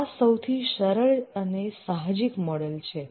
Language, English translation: Gujarati, This is the simplest and most intuitive model